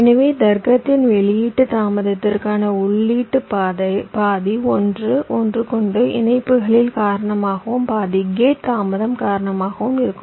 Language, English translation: Tamil, so half of the input to output delay of the logic will be due to the interconnections and half due to the gate delay